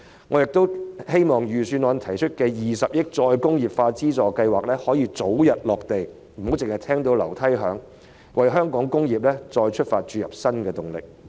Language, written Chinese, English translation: Cantonese, 我亦希望預算案提出的20億元再工業化資助計劃可以早日落實，不要"只聞樓梯響"，從而為香港"工業再出發"注入新動力。, I also hope that the 2 billion Re - industrialization Funding Scheme proposed in the Budget can be implemented as soon as possible rather than being merely empty talk so as to inject new momentum to reboot the industries of Hong Kong